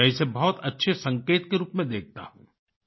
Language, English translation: Hindi, I view this as a very good indicator